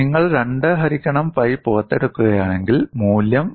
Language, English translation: Malayalam, And if you take out this 2 by pi, the value is 0